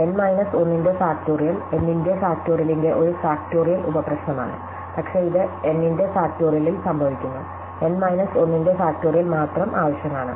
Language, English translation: Malayalam, So, factorial of n minus 1 is a factorial sub problem of factorial of n obviously, but it is just so happens that factorial of n, only required factorial of n minus 1